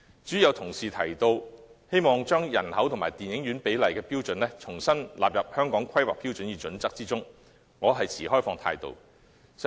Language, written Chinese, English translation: Cantonese, 至於有同事建議把人口與電影院比例的標準重新納入《規劃標準》，我持開放態度。, I keep an open mind on the proposal of a colleague to re - incorporate the standard for population - to - cinema ratio into HKPSG